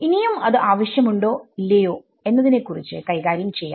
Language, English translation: Malayalam, So, we will deal with whether we still need that or not ok